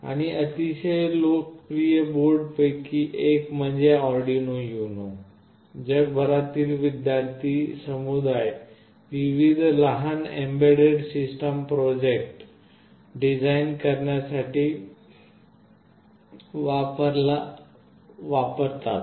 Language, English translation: Marathi, And, one of the very popular boards is Arduino UNO, which is used by the student community across the world to design various small embedded system projects